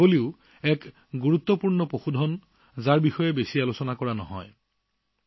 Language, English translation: Assamese, But the goat is also an important animal, which is not discussed much